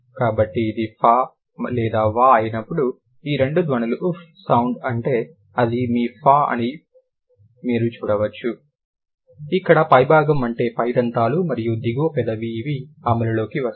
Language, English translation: Telugu, So, these two sounds, you can see that, that is this your f, that is the f, that is the fhm sound where it's the upper, that the upper teeth and the lower lip, these are going to come into play